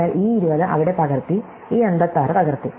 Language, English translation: Malayalam, So, this 20 is copied there, this 56 is copied